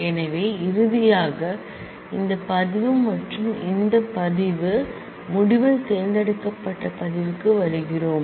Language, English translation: Tamil, So, we finally, come to that this record and this record r the selected record in the result alpha 1 7 alpha 1 7 beta beta 23 10 beta beta 23 10